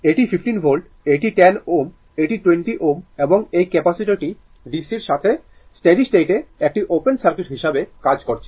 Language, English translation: Bengali, This is your 15 volts, this is 10 ohm this is your 20 ohm and this capacitor is acting as open circuit at steady state to the DC